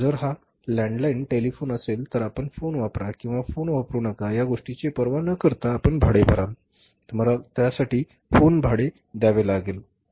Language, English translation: Marathi, If it is a landline telephone you pay the rent which is irrespective of the fact whether you use the phone you don't use the phone you have to pay the phone rent for that